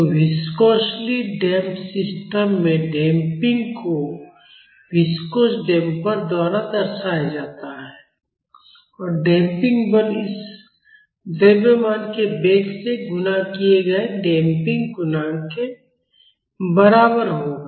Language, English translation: Hindi, So, in viscously damped system the damping is represented by a viscous damper and the damping force will be equal to the damping coefficient multiplied by the velocity of this mass